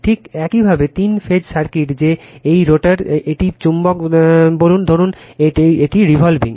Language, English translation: Bengali, Just you start the three phase circuit that is this rotor; this is magnet say suppose it is revolving